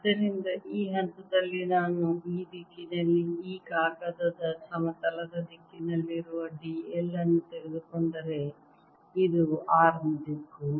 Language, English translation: Kannada, so at this point if i take d l, which is in the direction of the plane of this paper, in this direction, this is the direction of r